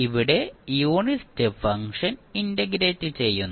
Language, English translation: Malayalam, Here, we are integrating the unit step function